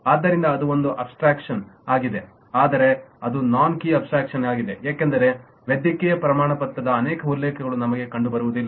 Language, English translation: Kannada, but that is kind of a non key abstraction because we do not find many references of medical certificate